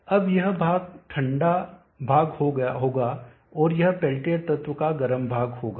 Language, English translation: Hindi, Now this portion will be the cold portion and that will be the hot portion of the peltier element